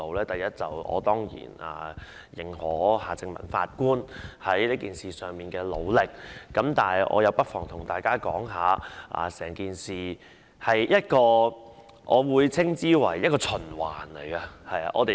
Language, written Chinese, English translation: Cantonese, 第一，我當然肯定夏正民法官在這事上的努力，但我不妨告訴大家，就整件事來說，我會稱之為一個循環。, First I certainly recognize the efforts made by Mr Michael HARTMANN . But let me tell Members one thing . Concerning this whole issue I would call it a cycle